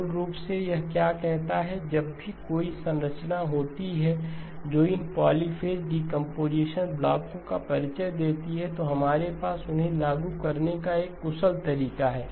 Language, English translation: Hindi, Basically what this says is whenever there is a structure that introduces these polyphase decomposition blocks, then we have a efficient way of implementing them